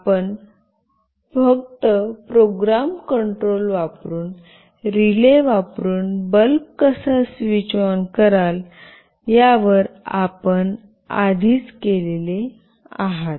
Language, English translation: Marathi, You already have come across how you will switch ON a bulb using relay just using program control